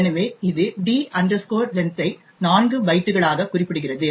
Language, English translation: Tamil, So, thus it specifies the D length as 4 bytes